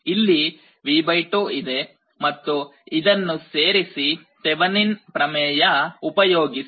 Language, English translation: Kannada, So, you have V / 2 here and you combine this again apply Thevenin’s theorem here